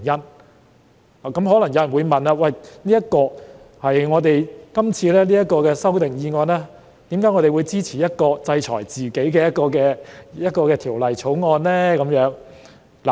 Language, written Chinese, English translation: Cantonese, 就此，有人可能會問，對於今次的修訂議案，我們為何會支持一項制裁自己的《條例草案》呢？, In this connection some people may query why we would support this proposed amendment under the present Bill that sanctions ourselves